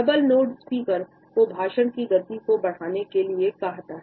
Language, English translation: Hindi, A double nod tells the speaker to increase the speed in tempo of this speech